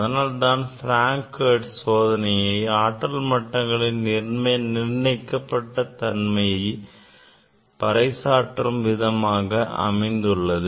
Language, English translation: Tamil, that is why it is this Frank Hertz experiment which demonstrated the discreteness of energy level